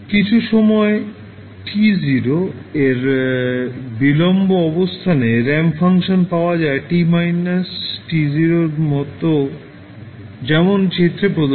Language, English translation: Bengali, When you delay with some time t naught you get ramp function t minus t naught like as shown in the figure